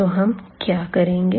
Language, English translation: Hindi, So, what do we consider